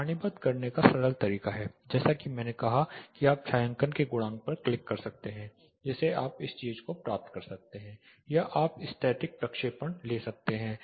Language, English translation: Hindi, The simple way to tabulate as I said you can click the shading coefficients you can get this thing or you can take the stereographic projection